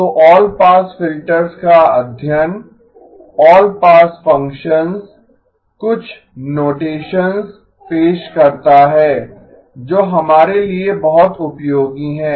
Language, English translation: Hindi, So the study of all pass filters, all pass functions introduces a few notations which is very helpful for us